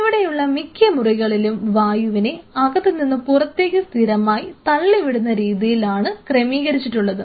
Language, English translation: Malayalam, And most of these rooms are being arraigned in a way that the air is being continuously pumped out of these rooms